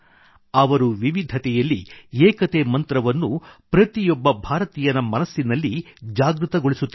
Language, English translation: Kannada, He was invoking the mantra of 'unity in diversity' in the mind of every Indian